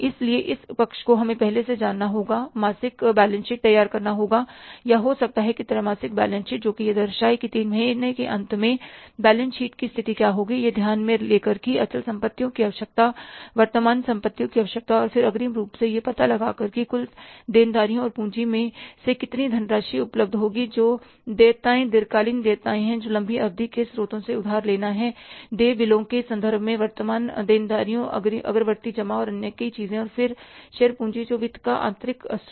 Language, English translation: Hindi, So this side we have to know in advance, prepare the monthly balance sheet or maybe the quarterly balance sheet showing it that what will be the balance sheet position at the end of three months, taking into consideration the requirement of fixed assets, requirement of current assets and then working out in advance how much funds will be available from the total liabilities plus capital that is liability is long term liabilities borrowing from the long term sources, current liabilities in terms of the bills available, advance deposits and so many other things and then the share capital which is the internal source of finance